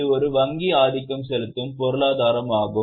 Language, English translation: Tamil, Instead of market control, it's more of a bank dominated economy